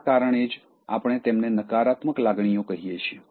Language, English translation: Gujarati, So, that is the reason why we call them as negative emotions